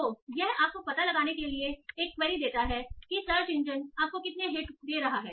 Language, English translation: Hindi, So you give that a query, find out how many hits the search engine is giving you